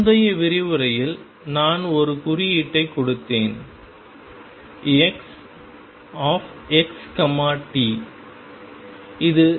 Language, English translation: Tamil, And the previous lecture I gave it a notation psi x t